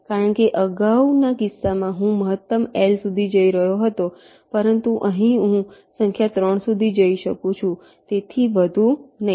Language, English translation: Gujarati, because in the earlier case i was going up to a maximum of l, but here i can go up to a number three, not more than that